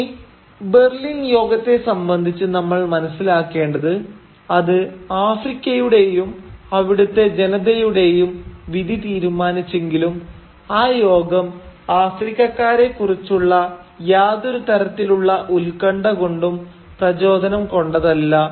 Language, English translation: Malayalam, Now, as far as the Berlin conference was concerned, we also need to keep in mind that, though it decided the fate of Africa and its inhabitants, the conference was never really motivated by any special concern about Africans